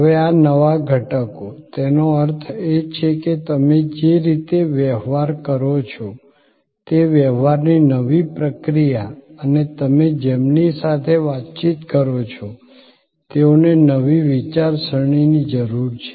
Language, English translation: Gujarati, Now, there, these new elements; that means the way you transact the new process of transaction and the people with whom you interact need new way of thinking